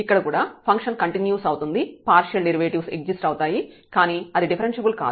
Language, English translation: Telugu, So, hence this function is continuous the partial derivatives exist and the function is continuous